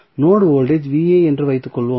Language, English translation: Tamil, Suppose, the node voltage is Va